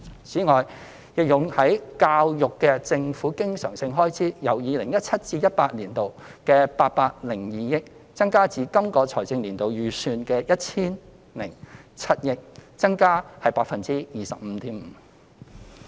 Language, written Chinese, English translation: Cantonese, 此外，用於教育的政府經常性開支由 2017-2018 年度的802億元，增加至今個財政年度預算的 1,007 億元，增幅為 25.5%。, Besides the government recurrent expenditure on education has increased from 80.2 billion in 2017 - 2018 to the estimated expenditure of 100.7 billion for the current financial year representing an increase of 25.5 %